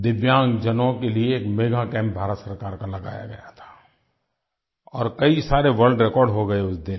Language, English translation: Hindi, Government of India had organized a Mega Camp for DIVYANG persons and a number of world records were established that day